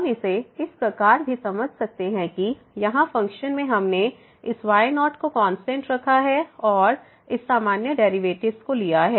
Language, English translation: Hindi, We can also understand this as so here in the function we have kept this as constant and taking this usual derivatives